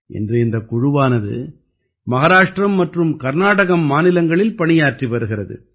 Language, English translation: Tamil, Today this team is working in Maharashtra and Karnataka